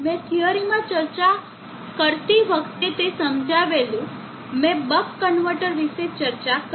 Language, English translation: Gujarati, I discussed while discussing in theory I discussed about the buck converter